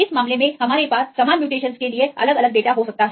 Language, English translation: Hindi, This case we can have different data for the same mutations